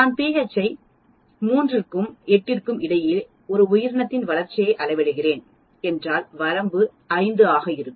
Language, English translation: Tamil, If I am measuring the growth of an organism between pH 3 and 8 so the range will be 5